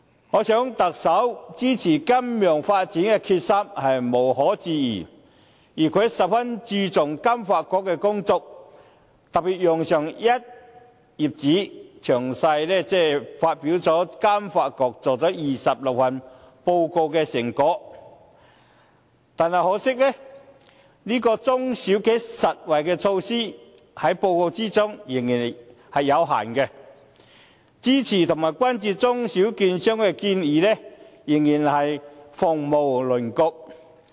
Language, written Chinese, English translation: Cantonese, 我想特首支持金融發展的決心是無容置疑的，而他也十分注重香港金融發展局的工作，特別用上一頁紙，詳細發表金發局做了26份報告的成果，但可惜的是在報告中，中小企實惠的措施仍是有限，支持和關注中小券商的建議仍是鳳毛麟角。, I think the Chief Executives commitment to support financial development is beyond doubt . He is also very concerned about the work of the Financial Services Development Council Hong Kong FSDC and has particularly commented in detail on a whole page the achievement of FSDC in releasing 26 reports . However it is a pity that the measures benefiting small and medium enterprises SMEs are still limited in the Policy Address while there are only just a few recommendations to support and care about the small and medium securities dealers